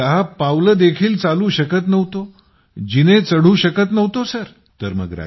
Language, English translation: Marathi, I could not walk ten steps, I could not climb stairs Sir